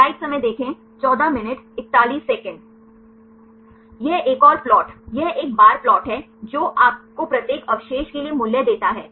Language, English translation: Hindi, This is another plot is a bar plot which give you the value for each residue